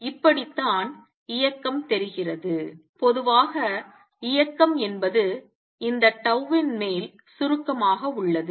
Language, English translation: Tamil, This is how is motion looks and the general motion is equal to summation over tau of this